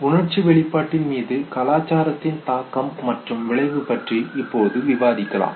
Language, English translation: Tamil, Now let us talk about the influence, of the impact, of the effect, of culture on emotional expression